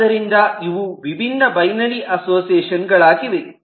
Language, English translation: Kannada, so these are different binary associations